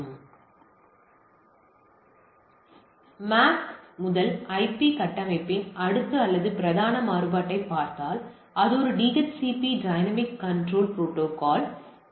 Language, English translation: Tamil, If we look at the next or the predominant variant of this MAC to IP configuration is a DHCP Dynamic Host Control Protocol